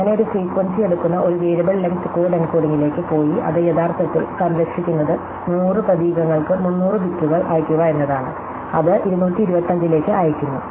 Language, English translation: Malayalam, And so by going to a variable length code encoding which takes in to upon the frequency and actually savings it is to a sending 300 bits for 100 character, it send into 225